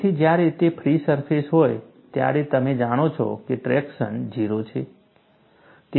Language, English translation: Gujarati, So, when into the free surface, you know traction is 0